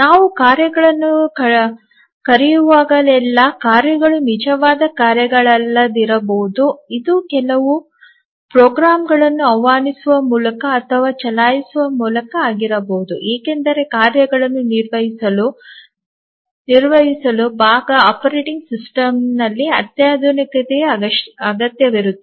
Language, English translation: Kannada, The tasks may not be real tasks actually even though we are calling tasks it may be just invoking running certain programs because handling tasks require sophistication on the part of operating system